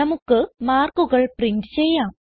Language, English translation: Malayalam, we shall print the marks